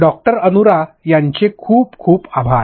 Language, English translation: Marathi, Thank you so much Doctor Anura